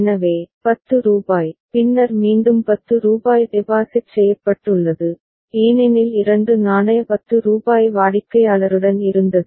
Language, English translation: Tamil, So, rupees 10 and then again rupees 10 has been deposited because two coin of rupees 10 was there with the customer ok